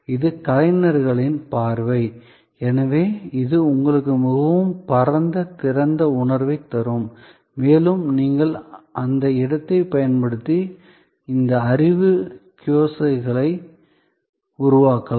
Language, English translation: Tamil, This is that artists view, which can therefore, be give you a much more wide open feeling and you could use that space, then create some of this knowledge kiosk so on